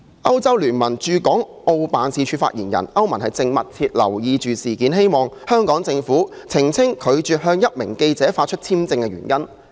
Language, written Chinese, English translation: Cantonese, 歐洲聯盟駐港澳辦事處發言人表示，歐盟正密切留意事件，希望香港政府澄清拒絕向一名記者發出簽證的原因。, The spokesperson for the European Union Office to Hong Kong and Macao said that the European Union would keep a close watch on the incident and hoped that the Hong Kong Government would clearly explain the reasons for its refusal to grant the journalist a visa